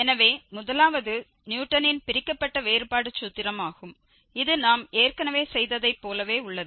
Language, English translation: Tamil, So, the first one is the Newton's Divided difference formula which is very similar to what we have already done